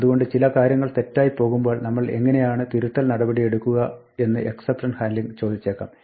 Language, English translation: Malayalam, So, exception handling may ask, when something goes wrong how do we provide corrective action